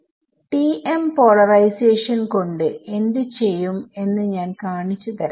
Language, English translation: Malayalam, I will show you what will do with TM polarization